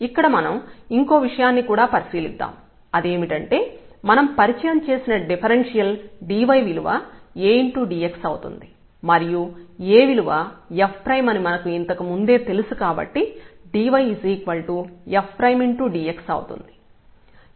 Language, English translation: Telugu, This is also we have observed and this we have introduced that the differential y is nothing but the A times dx or A is nothing, but the f prime so, f prime dx